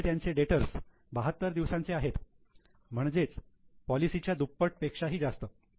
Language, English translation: Marathi, But here they have data for 72 days means almost more than double their policy